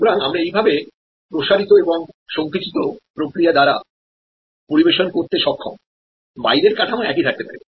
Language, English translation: Bengali, So, by this way we are able to serve by the stretch and shrink mechanism, the outer structure may remain the same